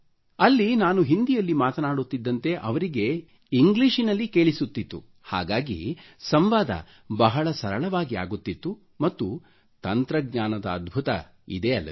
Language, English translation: Kannada, So I used to speak in Hindi but he heard it in English and because of that the communication became very easy and this is an amazing aspect about technology